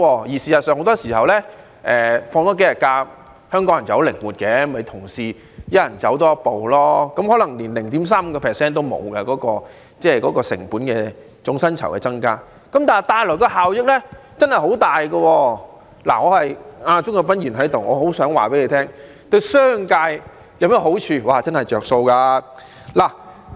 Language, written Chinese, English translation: Cantonese, 事實上，很多時候香港人是很靈活的，即使多放數天假期，只要同事間每人多走一步，總薪酬成本的增加可能連 0.35% 也沒有，但帶來的效益卻很大——正好鍾國斌議員在席——我很想告訴他，此舉對商界有甚麼好處，真的是有"着數"。, In fact Hong Kong people are often very flexible . Even if a few more holidays are provided the increase in total wage cost may turn out to be less than 0.35 % if all employees can take up more . This will bring enormous benefits―Mr CHUNG Kwok - pan is also present now―I very much want to tell him that this proposal is beneficial to the business sector